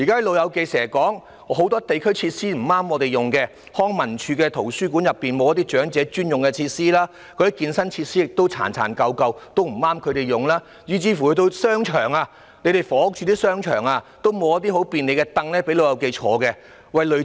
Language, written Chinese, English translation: Cantonese, "老友記"經常說，很多社區設施不適合他們使用，例如康樂及文化事務署轄下的圖書館內沒有長者專用設施；健身設施十分殘舊，不適合他們使用；房屋署的商場也沒有提供方便"老友記"歇息的椅子。, For example in the libraries under the Leisure and Cultural Services Department there is no dedicated facilities for the elderly . The fitness equipment is worn out and unsuitable for their use . The shopping malls of the Housing Department do not provide any chairs for the elderly to rest either